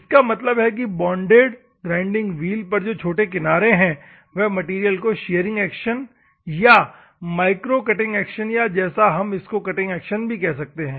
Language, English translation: Hindi, So, that means, the small edges which are there on a bonded grinding wheel will remove the material by shearing action or micro cutting action or normally it can also be called as a cutting action